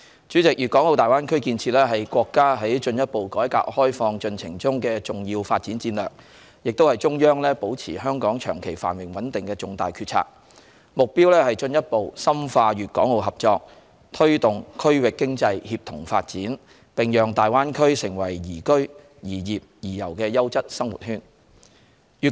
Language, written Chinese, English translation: Cantonese, 主席，大灣區建設是國家進一步改革開放進程中的重要發展戰略，亦是中央保持香港長期繁榮穩定的重大決策，目標是進一步深化粵港澳合作，推動區域經濟協同發展，並讓大灣區成為宜居、宜業、宜遊的優質生活圈。, President the building of the Greater Bay Area is an important development strategy in the countrys further reform and opening - up process and also a major decision of the Central Government for maintaining long - term prosperity and stability in Hong Kong . The plan is geared to further deepening cooperation among Guangdong Hong Kong and Macao fostering synergistic economic development in the region and developing the Greater Bay Area into a quality living circle that is suitable for living working and tourism